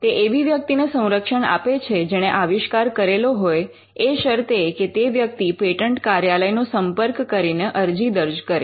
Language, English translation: Gujarati, It wants to safeguard a person who invents first provided that person approaches the patent office and files an application